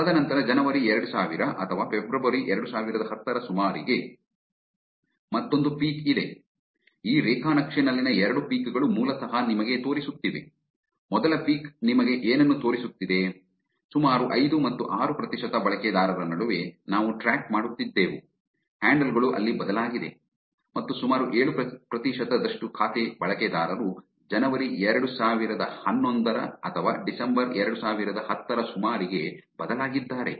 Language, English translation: Kannada, The two peaks in this graph are basically showing you that what the first peak is showing you about between 5 and 6 percent of users that was that we were tracking, the handles were changed and about 7 percent of the account user handles were changed around January 2011 or December 2010